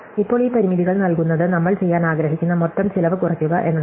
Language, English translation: Malayalam, So, now given these constraints what we want to do is minimize the total amount of cost that we are going to put up